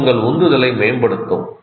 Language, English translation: Tamil, It will enhance your motivation